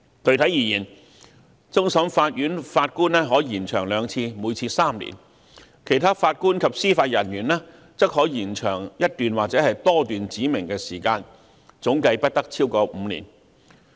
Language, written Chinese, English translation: Cantonese, 具體而言，終審法院法官的任期可延長兩次，每次3年；其他法官及司法人員的任期則可延長一段或多段指明的時間，總計不得超過5年。, Specifically the term of office of Judges of the Court of Final Appeal may be extended for two periods of three years; and the term of office of other JJOs may be extended for a specified period or periods not exceeding five years in aggregate